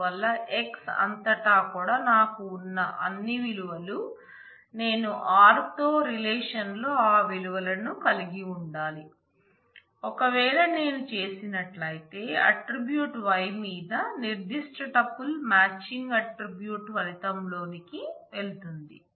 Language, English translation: Telugu, So, all over x all the values that I have, I must have those values in the relation r, if I do then the attribute the particular tuple matching on the attribute y goes onto the result